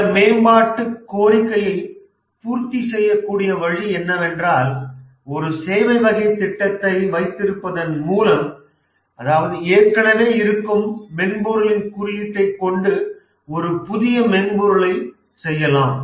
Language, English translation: Tamil, And the only way this development request can be made is by having a services type of project where there is a customization of existing software